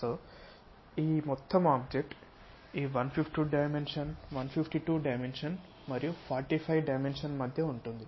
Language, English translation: Telugu, So, this entire object will be in between this 152 dimensions and 45 dimensions